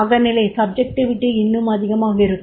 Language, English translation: Tamil, There is the subjectivity will be more